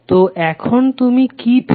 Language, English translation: Bengali, So what you have got now